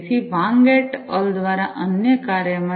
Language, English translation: Gujarati, So, in another work by Wang et al